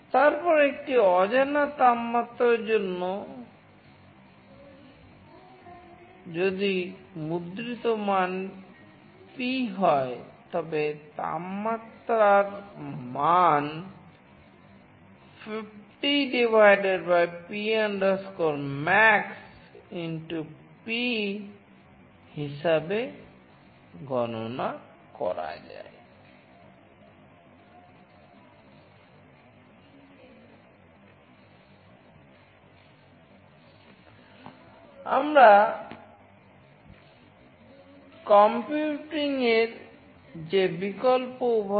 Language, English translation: Bengali, Then for an unknown temperature, if the value printed is P, then the temperature value can be calculated as 50 / P max * P